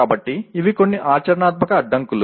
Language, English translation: Telugu, So these are some practical constraints